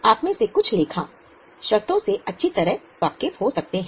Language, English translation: Hindi, Some of you might be well worse with accounting terms